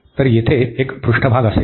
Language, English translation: Marathi, So, there will be a surface